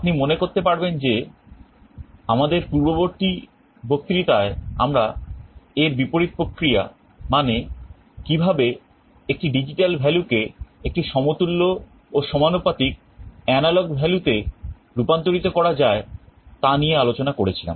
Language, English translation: Bengali, If you recall in our previous lecture we discuss the reverse process, how to convert a digital value into an equivalent and proportional analog value